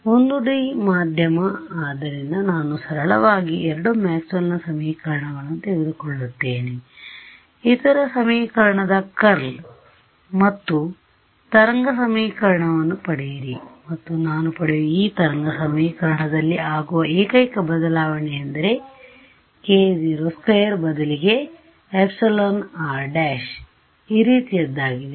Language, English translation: Kannada, So, 1D medium so, very simply I will take the two Maxwell’s equations take curl of the other and get a wave equation and this wave equation that I get is off this kind over here the only change that happens is that instead of k naught squared I get an epsilon r prime whatever was the relative permittivity over there comes in over here ok